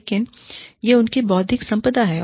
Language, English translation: Hindi, But, it is their intellectual property